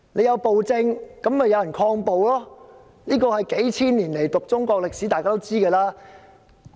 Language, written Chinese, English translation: Cantonese, 有暴政便有人抗暴，這是讀中國數千年歷史便知道的事。, We have learnt from thousands of years of Chinese history that whenever there is a tyranny there are uprisings against it